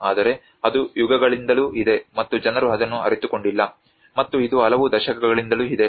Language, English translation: Kannada, But then it has been there for ages and until people have discovered no one have realized it, and it has been there since many decades